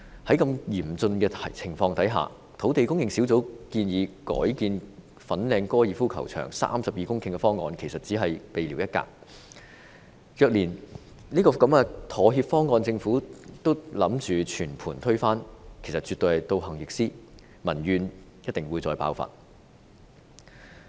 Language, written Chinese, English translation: Cantonese, 在如此嚴峻的情況下，土地供應專責小組建議改建粉嶺高爾夫球場32公頃的方案，其實只是聊備一格，若連這個妥協方案政府也打算全盤推翻，絕對是倒行逆施，民怨定必再次爆發。, Under such urgent circumstances the Task Force put forward the proposal of redeveloping 32 hectares of the Fanling Golf Course which is actually just window dressing . If the Government plans to overthrow even this compromise proposal it would absolutely go against the public wish and public grievances would be set to explode again